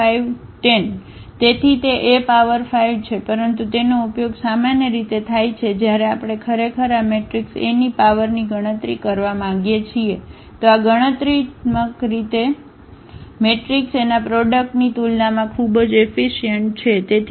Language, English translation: Gujarati, So, that is A power 5, but it is usually used when we really want to have we want to compute a high power of this matrix A then this is computationally very very efficient as compared to doing the product of matrices A